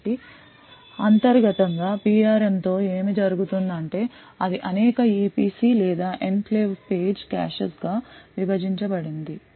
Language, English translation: Telugu, So internally what happens with the PRM is that it is divided into several EPC’s or Enclave Page Caches